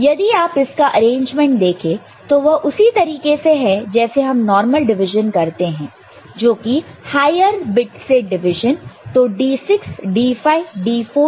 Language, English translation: Hindi, And you see that the arrangement is the way we normally divide, we divide from the higher bits